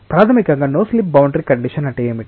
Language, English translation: Telugu, So, fundamentally what is a no slip boundary condition